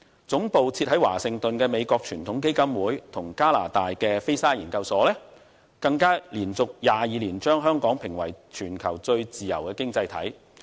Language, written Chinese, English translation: Cantonese, 總部設於華盛頓的美國傳統基金會及加拿大的菲沙研究所，更連續22年把香港評為全球最自由的經濟體。, Both the Heritage Foundation of the United States with its headquarters in Washington and the Fraser Institute a Canadian think tank have rated Hong Kong the freest economy in the world for 22 consecutive years